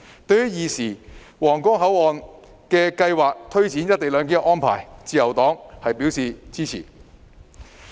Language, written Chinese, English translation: Cantonese, 對於現時皇崗口岸的計劃和推展"一地兩檢"的安排，自由黨是支持的。, The Liberal Party supports the current plan for the Huanggang Port and the implementation of co - location arrangement there